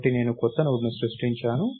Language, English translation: Telugu, So, I created a new Node